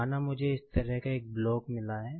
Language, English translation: Hindi, Say, I have got a block like this